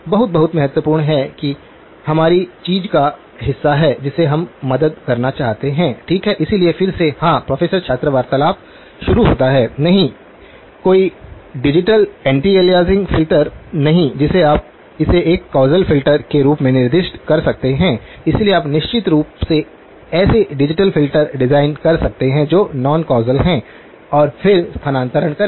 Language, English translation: Hindi, Very, very important that is part of our the thing that we want to help and okay, so again; yes, “Professor – student conversation starts” no, no digital anti aliasing filter you can specify it as a causal filter, so you of course, you can design digital filters that are non causal and then do the shifting